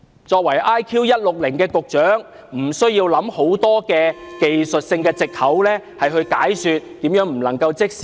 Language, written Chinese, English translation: Cantonese, 作為 IQ 160的局長，他無需想出很多技術性的藉口，解說為何不能即時落實。, As a Secretary with an IQ of 160 he needs not make up many technical pretexts to explain why immediate implementation is not possible